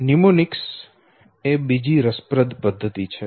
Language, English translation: Gujarati, Mnemonics is another interesting method